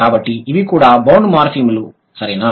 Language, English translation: Telugu, So, these are also bound morphemes